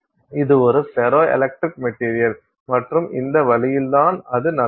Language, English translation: Tamil, So, this is a ferroelectric material and this is the way in which it happens to be